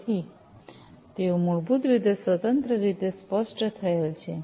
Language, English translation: Gujarati, So, they are basically specified independently